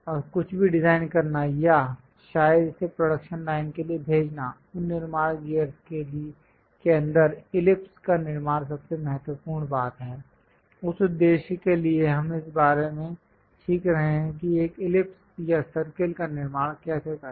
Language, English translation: Hindi, And to design anything or perhaps to send it for production line, constructing ellipse inside of that constructing gears is most important thing; for that purpose, we are learning about this how to construct an ellipse or circle